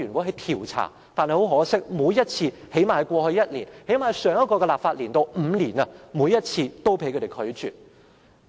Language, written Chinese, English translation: Cantonese, 很可惜，每一次——最低限度在過去一年及上一個立法年度的這5年間——每一次也被他們拒絕。, Regrettably on every occasion―at least in the five - year period including last year and the previous - term Legislative Council―on every occasion the motion was opposed by them